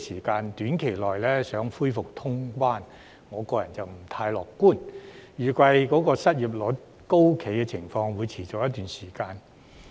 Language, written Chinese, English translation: Cantonese, 對於短期內期望恢復通關，我個人不太樂觀，而失業率高企的情況預計會持續一段時間。, Personally I am not optimistic that passenger clearance services can be resumed in a short time and the high unemployment rate is expected to continue for some time